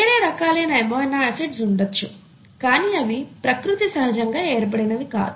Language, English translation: Telugu, There could be other types of amino acids, but they are not naturally occurring amino acids